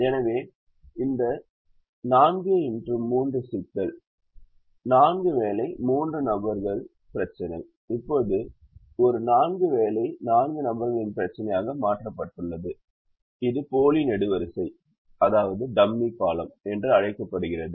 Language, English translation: Tamil, so this four by three problem, four job, three person problem has now been made into a four job, four person problem by adding what is called a dummy column